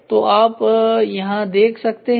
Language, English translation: Hindi, So, you can look at it